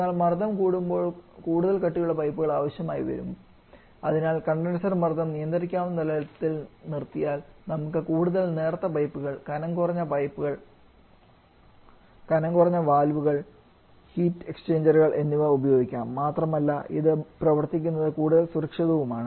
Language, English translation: Malayalam, But higher the pressure more thicker pipes that we need and therefore if the condenser pressure can be kept to some manageable level we can use much thinner pipes much thinner valve tech exchanger and also it is much safer to operate